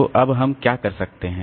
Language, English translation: Hindi, So, that can be done